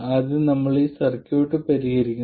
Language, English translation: Malayalam, First we solve for this circuit